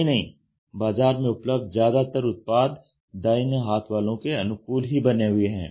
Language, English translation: Hindi, Many of the products which are available in the market are for right handers